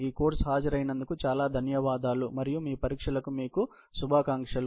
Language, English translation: Telugu, Thank you very much for attending this course and wish you all the best for your examinations